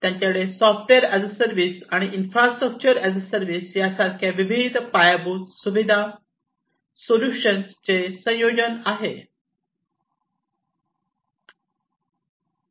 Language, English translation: Marathi, So, they have a combination of infrastructure as a service, and software as a service solutions